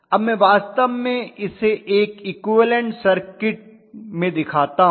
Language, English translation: Hindi, So if I actually show it in an equivalent circuit